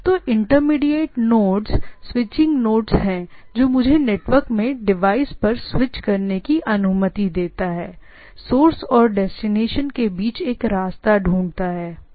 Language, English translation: Hindi, So, the so, intermediate nodes are switching nodes which allows me to switch to the things or in other words what we say, we find a path between the source and destination, right